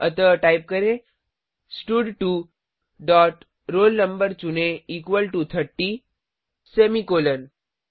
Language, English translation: Hindi, So type stud2 dot selectroll no equal to 30 semicolon